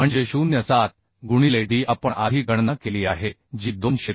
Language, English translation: Marathi, 7 into d we have calculated earlier that is 273